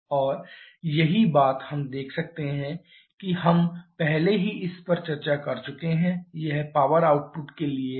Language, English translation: Hindi, And the same thing we can see we have already discussed this, this is for the power output